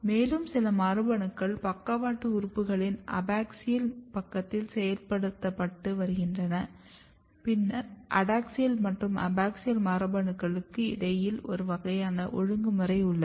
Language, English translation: Tamil, And some other genes are getting activated in the abaxial side of the lateral organs and then there is a kind of crosstalk and regulation between adaxial and abaxial genes